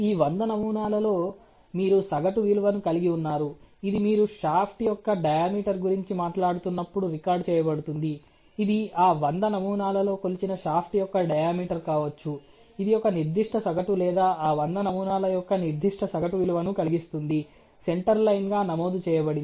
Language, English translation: Telugu, In this 100 samples you have an average value which is recorded when you are talking about diameter of a shaft, it may be the diameter of the shaft measured in those 100 samples which cause a certain mean or a certain average value of that 100 samples being a recorded as a center line that is the center line